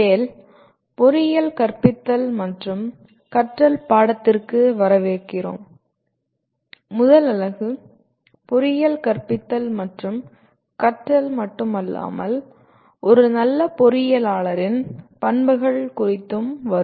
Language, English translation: Tamil, Welcome to the course TALE, Teaching and Learning in Engineering and the first unit is concerned with not only teaching and learning in engineering but also the characteristics of a good engineer